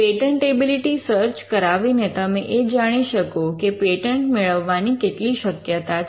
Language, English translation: Gujarati, By generating a patentability search, you would know the chances of a patent being granted